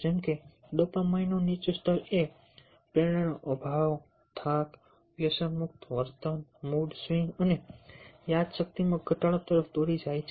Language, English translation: Gujarati, low dopamine levels can lead to lack of motivation, fatigue, addictive behavior, mood swings and memory loss